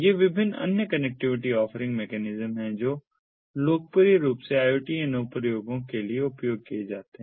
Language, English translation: Hindi, these are different other connectivity offering ah, ah mechanisms that are popularly used for iot applications